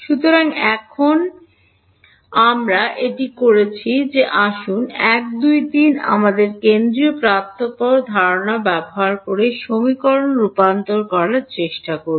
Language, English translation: Bengali, So now, that we have done this let us try to convert equations 1 2 3 using our central difference idea